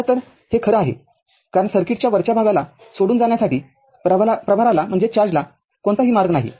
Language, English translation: Marathi, So in fact, this is the true because there is no path for charge to leave the upper part of the circuit